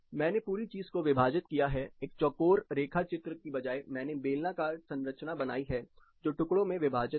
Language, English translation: Hindi, I have split the whole thing, instead of drawing a square I have made a cylindrical structure which is segmented